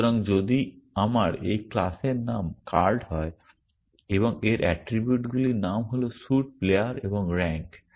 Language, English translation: Bengali, So, if my this class name is card and its attributes are name, suit, player and rank